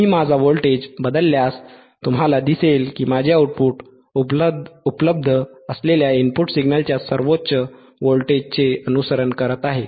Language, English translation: Marathi, , iIf I change my voltage, if I change my voltage, you see my output is following my output is following the highest voltage that is available in the input signal right